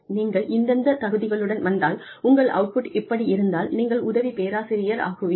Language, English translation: Tamil, If you come with these qualifications, and if this is your output, you are going to be assistant professor